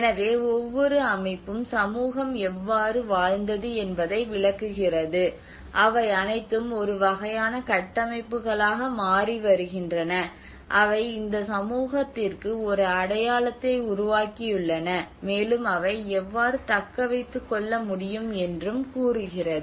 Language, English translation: Tamil, So each and every system how the community lived they are all becoming a kind of structures that have created an identity for this community and how they can sustain